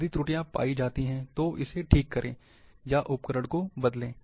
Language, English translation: Hindi, If found, correct it, or change the tool